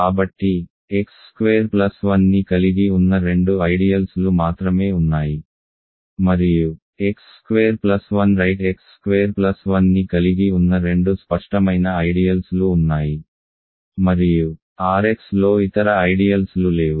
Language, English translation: Telugu, So, there are only two ideals containing x squared plus 1 and there are two obvious ideals that contain x squared plus 1 right x squared plus 1 itself and R x there is no other ideals